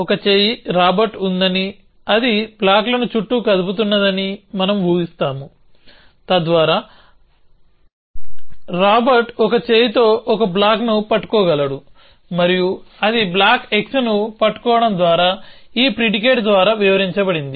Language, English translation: Telugu, that there is a one arm Robert, which is moving the blocks around, so that one arm Robert can hold one block and that is described by this predicate saying holding block x